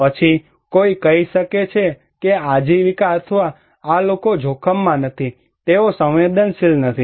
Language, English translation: Gujarati, Then, one can say that this livelihood or these people are not at risk, they are not vulnerable